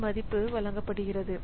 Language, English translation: Tamil, So, that value was given